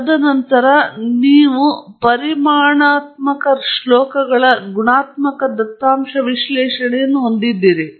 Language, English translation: Kannada, And then, you have quantitative verses qualitative data analysis